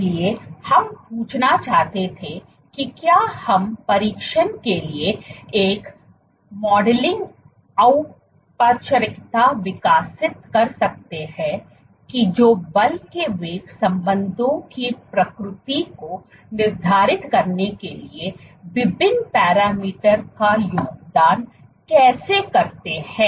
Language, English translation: Hindi, So, and we wanted to ask that can we develop a modeling formalism for testing how various parameters contribute to dictating the nature of force velocity relationships